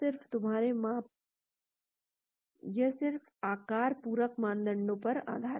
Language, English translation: Hindi, So, it is just based on shape, complementarity criteria